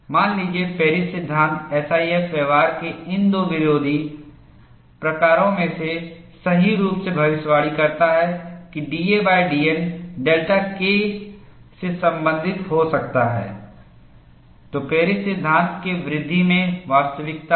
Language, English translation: Hindi, Suppose, Paris law correctly predicts, in these two opposing type of SIF behavior, that d a by d N could be related to delta K, then there is substance in the development of Paris law